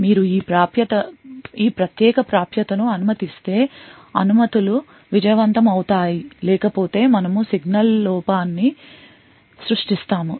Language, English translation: Telugu, If these permissions are successful, then you allow this particular access else we will create a signal fault